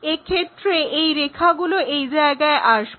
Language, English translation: Bengali, So, that visible line is this